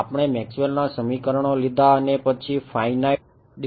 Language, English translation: Gujarati, We took Maxwell’s equations and then and did finite differences right so, finite